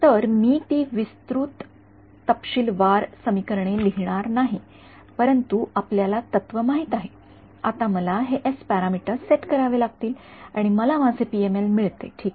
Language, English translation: Marathi, So, I am not going to write down those very detailed equation, but you know the principle now I have to set these s parameters and I get my PML ok